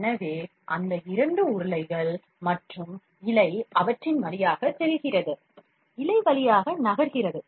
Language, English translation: Tamil, So, that two rollers and the filament passes through them, the filament moves through them